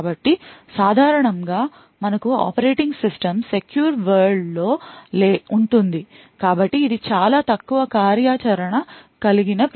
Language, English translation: Telugu, So, typically we would have operating system present in the secure world so this are specialized operating systems which have very minimal functionality